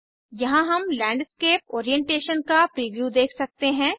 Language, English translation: Hindi, Here we can see the preview of Landscape Orientation